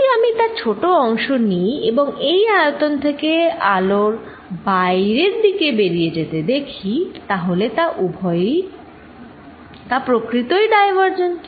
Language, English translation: Bengali, If I take a small volume around it and see the light going out of this volume all over the light is going out, so this is really divergent